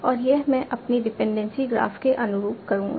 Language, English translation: Hindi, And this I would assume corresponds to my dependency graph